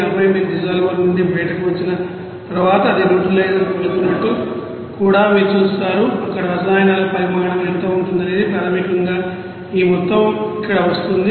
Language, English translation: Telugu, And then you will see that after coming out from the dissolver you know that it will be going to that neutralizer there also what will be the amount of you know chemicals will be coming in basically this amount is coming here